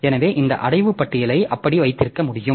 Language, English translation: Tamil, So, we can have this directory listing like that